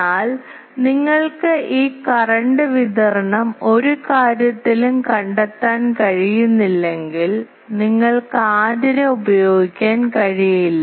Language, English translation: Malayalam, But if you cannot find this current distribution on a thing, but then cannot you use the antenna